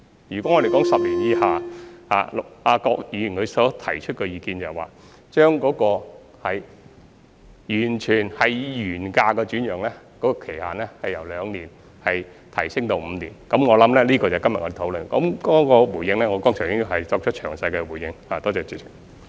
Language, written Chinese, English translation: Cantonese, 如果說10年以下的，郭議員提出的意見是，將以原價來轉讓的期限，由兩年提升到5年，這就是我們今天所討論的，至於回應方面，我剛才已作出詳細的回應。, For SSFs which were resold at less than 10 years of ownership according to Mr KWOKs view the restriction period for reselling the flats at their original prices should be extended from two years to five years after first assignment . This is the subject of the discussion today and I have already made detailed response just now to this point